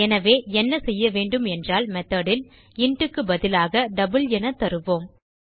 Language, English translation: Tamil, So what we do is in the method instead of int we will give double